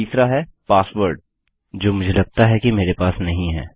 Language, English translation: Hindi, The third one is the password which I believe I dont have